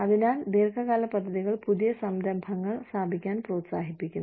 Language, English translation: Malayalam, So, long term plans encourage, the setting up of new ventures